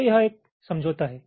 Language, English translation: Hindi, so this is the understanding